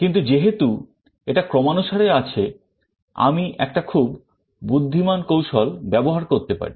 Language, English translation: Bengali, But because it is sorted I can adapt a very intelligent strategy